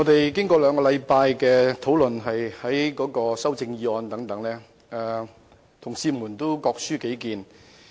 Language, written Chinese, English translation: Cantonese, 主席，兩星期以來，我們已就修正案展開辯論，同事各抒己見。, Chairman over the two weeks or so we have been debating the Budget and Members have expressed their respective views